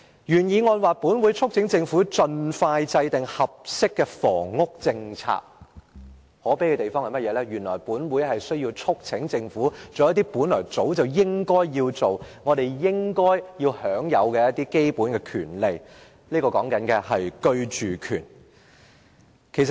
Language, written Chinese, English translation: Cantonese, 原議案提到"本會促請政府盡快制訂合適的房屋政策"；可悲的是，原來本會需要促請政府做一些早應該要做的事情，居住權也是我們應該享有的基本權利。, As stated in the original motion this Council urges the Government to expeditiously formulate an appropriate housing policy . It is pitiable that this Council has to urge the Government to do what it should have done long ago . Also the right to accommodation is our basic right